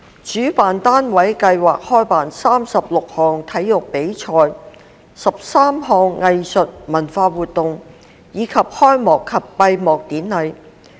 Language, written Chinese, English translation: Cantonese, 主辦單位計劃舉辦36項體育比賽、13項藝術文化活動，以及開幕及閉幕典禮。, The organizers plan to hold 36 sports competitions 13 arts and cultural activities as well as opening and closing ceremonies